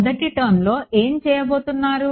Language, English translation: Telugu, What is the first term going to do